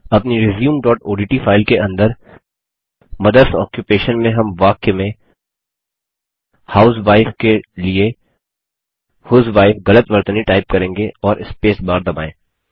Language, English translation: Hindi, In our resume.odt file under Mothers Occupation, we shall type a wrong spelling for housewife in the sentence, as husewife and press the spacebar